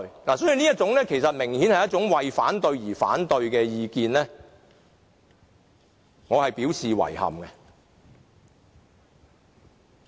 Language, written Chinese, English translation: Cantonese, 所以，對於這種其實明顯是為反對而反對的意見，我表示遺憾。, I find their approach of opposing for the sake of opposing very regrettable